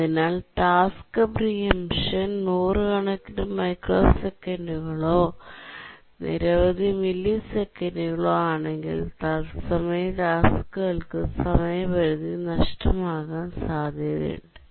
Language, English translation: Malayalam, So if the task preemption time is hundreds of microseconds or a second or several milliseconds, then it's likely that the hard real time tasks will miss their deadline